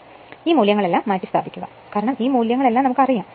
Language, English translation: Malayalam, So, substitute all this value because, all this values are known right